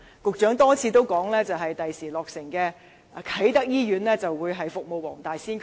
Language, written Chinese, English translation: Cantonese, 局長多次表示，將來落成的啟德醫院，將會服務黃大仙區。, The Secretary has repeatedly mentioned that the soon - to - be - completed Kai Tak Hospital will serve the Wong Tai Sin District